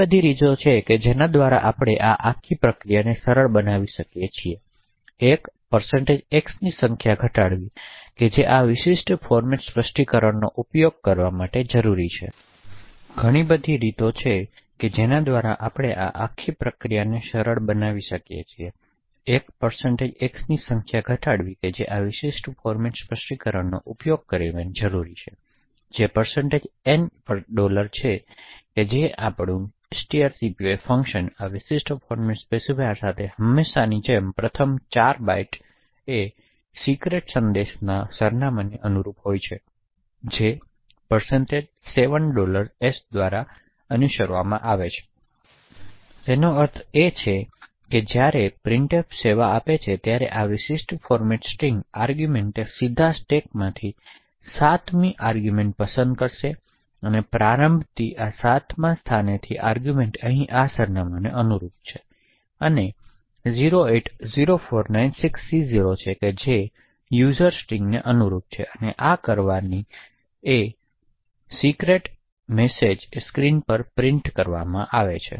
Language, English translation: Gujarati, So there are several ways by which we can simplify this entire process one way is to reduce the number of % x that is required by using this particular format specifier that is % N $s, so our string copy function is now invoked with this particular format specifier as usual the first 4 bytes corresponds to the address of the top secret message followed by % 7$s, so what this means is that when printf services this particular format string argument it would directly pick the 7th argument from the stack